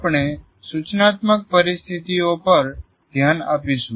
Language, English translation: Gujarati, What do we mean by instructional situations